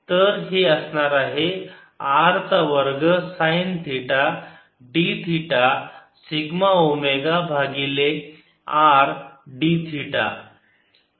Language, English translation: Marathi, so this will be r square, sin theta, d theta, d, omega, divided by r d theta